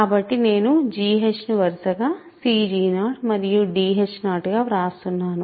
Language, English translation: Telugu, So, I am writing g h as cg 0 and d h 0 respectively